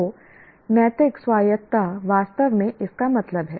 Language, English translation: Hindi, So, moral autonomy really means that